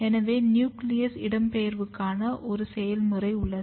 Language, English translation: Tamil, So, there is a process of nuclear migration